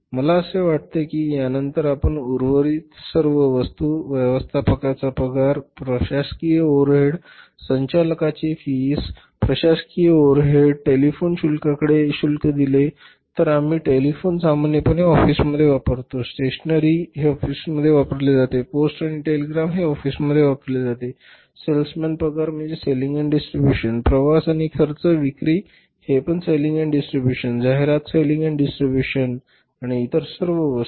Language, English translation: Marathi, I think after that if you look at all the items remaining, say manager salary, it is administrative overhead, director's fees, administrative overhead, telephone charges, use the telephone in the office normally, stationary it is the office, post and telegram is the office, salesman salaries is the again selling and distribution, traveling and expenses, selling and distribution, advertising is selling and distribution and then the other all items